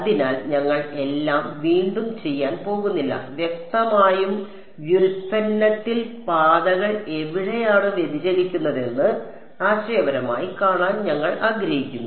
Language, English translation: Malayalam, So, we are not going to a redo all of it; obviously, we just want to see conceptually where does the paths diverge in the derivation